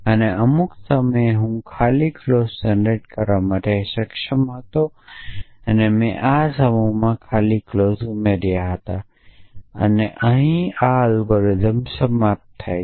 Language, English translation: Gujarati, And at some point I was able to generate the empty clause and I added the empty clause to this set and that is actually the algorithm terminates